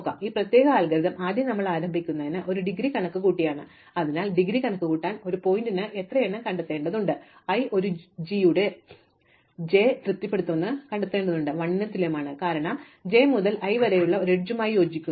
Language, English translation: Malayalam, So, in this particular algorithm we first start by computing the indegree, so in order to compute the indegree, we need to find out how many for a vertex i we need to find out how many j satisfy the property that A j i is equal to 1, because this corresponds to an edge from j to i